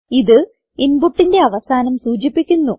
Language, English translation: Malayalam, It denotes the end of input